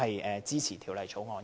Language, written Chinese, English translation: Cantonese, 我支持《條例草案》。, With these remarks I support the Bill